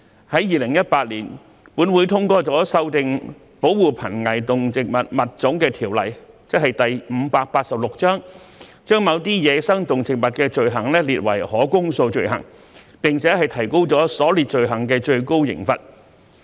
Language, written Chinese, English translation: Cantonese, 在2018年，本會通過修訂《保護瀕危動植物物種條例》，把某些走私野生動植物罪行列為可公訴罪行，並提高了所列罪行的最高刑罰。, In 2018 this Council passed amendments to the Protection of Endangered Species of Animals and Plants Ordinance Cap . 586 to make certain wildlife smuggling offences indictable and to increase the maximum penalties of the offences under it